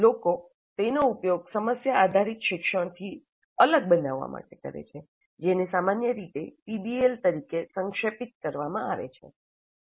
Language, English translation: Gujarati, Sometimes people use that to make it distinct from problem based learning, which is generally abbreviated as p v BL